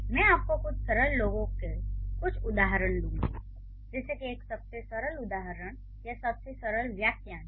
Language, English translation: Hindi, So, I will give you some examples of some simpler ones, like one of the simplest examples or the simplest phrases